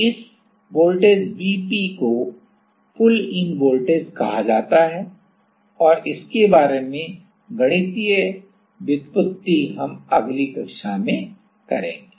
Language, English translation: Hindi, So, this voltage Vp is called pull in voltage and the mathematical derivation about this we will do in the next class